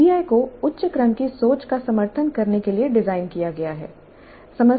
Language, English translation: Hindi, PBI is designed to support higher order thinking